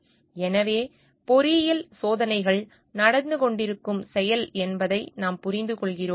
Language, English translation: Tamil, So, what we understand we have to understand like engineering experiments are ongoing process